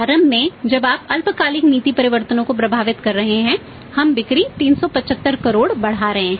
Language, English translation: Hindi, Initially we are affecting the short term policy changes we are increasing the sales by 375 crore